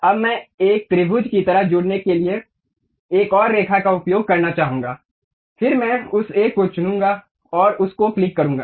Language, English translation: Hindi, Now, I would like to use one more line to join like a triangle, then I will pick that one and click that one